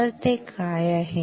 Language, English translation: Marathi, So, what is it